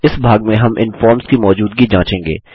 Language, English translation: Hindi, In this part we will check the existence of these forms